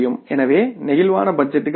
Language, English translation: Tamil, So, the answer is the flexible budgets